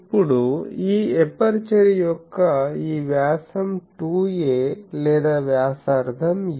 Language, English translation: Telugu, Now, the this diameter of this aperture is 2a or radius is a